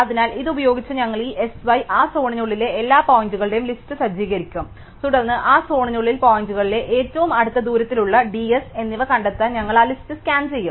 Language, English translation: Malayalam, So, using this we will set up this S y the list of all points inside that zone and then we will scan that list to find within that zone which are the points, which are in closest distance d S